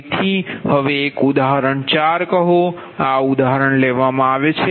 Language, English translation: Gujarati, so now say an example four